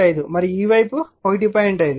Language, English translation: Telugu, 5 and this side also 1